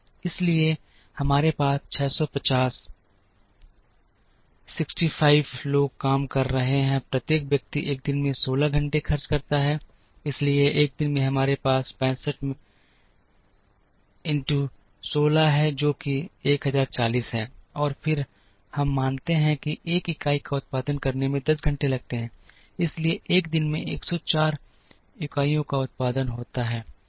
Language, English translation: Hindi, So, we have 650, 65 people are working, each person spends 16 hours in a day, so in a day we have 65 into 16, which is 1040, and then we assume that it takes 10 hours to produce a unit therefore, 104 units are produced in a day